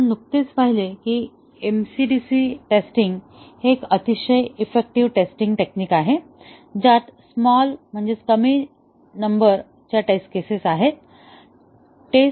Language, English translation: Marathi, So, we just saw that MCDC testing is a very effective testing technique with a small number of test cases